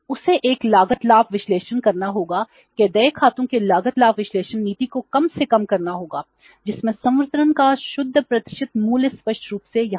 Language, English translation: Hindi, He has to make a cost benefit analysis that cost benefit analysis of an accounts payable policy will rest on the minimising the net present value of disbursements is clearly written here